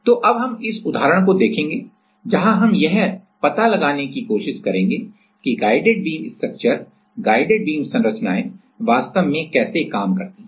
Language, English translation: Hindi, So, now we will see this example where we will try to explore how the guided beam structures actually work